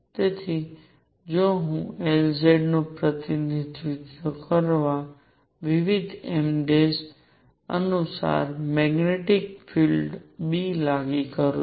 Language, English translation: Gujarati, So, if I apply a magnetic field B according to different m’s that represent L z